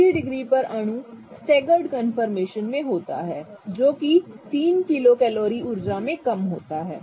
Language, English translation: Hindi, At 60 degrees the molecule is in a staggered conformation which is lower in energy by 3 kilo calories